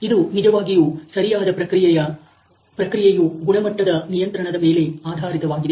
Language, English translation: Kannada, It is really dependent on the correct process quality control